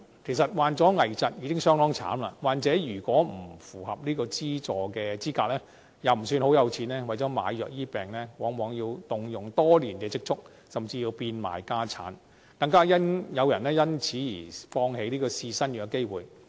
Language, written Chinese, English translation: Cantonese, 其實，患上危疾已非常可憐，若患者不符合資助資格，又不是太有錢，為了買藥治病，往往要動用多年的積蓄，甚至要變賣家產，更有人因此而放棄試新藥的機會。, In fact people suffering from critical illnesses are already very poor so if they are ineligible for subsidy and not very rich they often have to use their savings made over many years or even dispose of their family assets in order to buy drugs for treatment of their illnesses . Some people have even given up their chances of trying new drugs